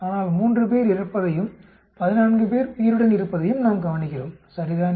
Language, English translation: Tamil, But we observe 3 to be dying and 14 to be alive, right